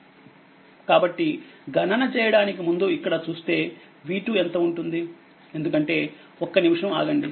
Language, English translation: Telugu, So, before showing you the calculation, so if you see the what will be b 2 because same i say just 1 minute